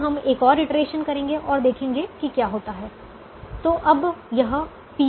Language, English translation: Hindi, now we'll do one more iteration and see what has happened